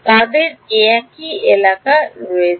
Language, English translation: Bengali, they have a same area